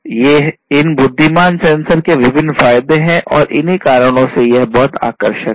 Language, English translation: Hindi, These are the different advantages of these intelligent sensors and that is why these are very attractive